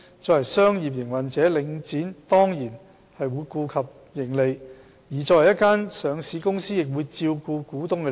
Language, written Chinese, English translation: Cantonese, 作為商業營運者，領展當然會顧及盈利，而作為一間上市公司，亦會照顧股東的利益。, As a business operator Link REIT is naturally concerned about profit and as a listed company it will give regard to the interest of its shareholders